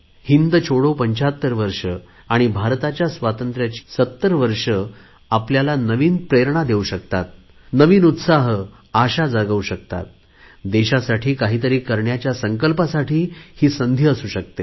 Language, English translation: Marathi, The 75th year of Quit India and 70th year of Independence can be source of new inspiration, source of new enthusiasm and an occasion to take a pledge to do something for our nation